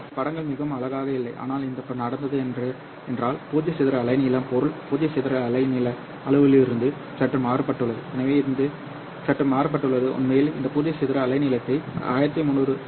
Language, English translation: Tamil, My pictures are not really nice but what has happened is that the zero dispersion wavelength has been slightly shifted from the material zero dispersion wavelength parameter